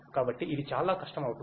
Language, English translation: Telugu, So, it becomes very difficult